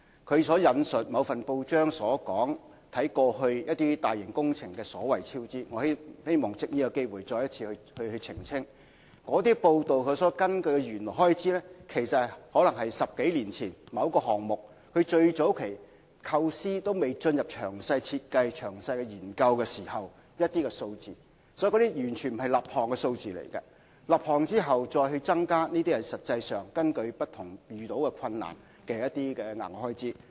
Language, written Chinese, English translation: Cantonese, 他引述了某份報章有關過去一些大型工程所謂超支情況的報道，我希望藉此機會再次澄清，有關報道所根據的原有開支，有可能是某項目在10多年前，即最早期尚未進入詳細設計和詳細研究時的初步估算數字，這些並非立項數字，在立項後再增加的開支，才是實際上因遇到不同的困難而導致的額外開支。, He quoted from a report in a certain newspaper concerning the so - called cost overruns of a number of major works projects in the past . I wish to take this chance to clarify once again that the original expenditure the report based on might probably be some preliminary estimation made some 10 - odd years earlier way before the detailed design and studies of the relevant project began . Those are not the figures of approved projects